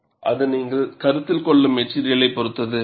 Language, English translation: Tamil, It depends on what material you are considering